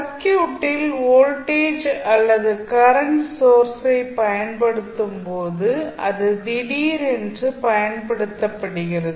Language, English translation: Tamil, So, in the circuit if you see, when you apply the voltage or current source it is applied suddenly